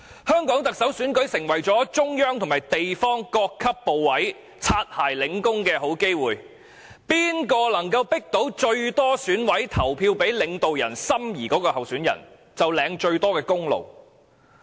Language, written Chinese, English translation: Cantonese, 香港特首選舉成為中央及地方各級部委"擦鞋"領功的好機會，誰能夠迫使最多選委投票給領導人心儀的候選人，便可以領得最大功勞。, Hong Kongs Chief Executive election has become a good opportunity for the Central Government and different levels of ministries to curry favour with the leaders . Whoever forces the largest number of EC members to vote for the candidate favoured by the leaders will get the greatest credit